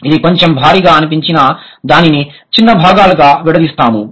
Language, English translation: Telugu, It sounds a little heavy but let's break it into smaller parts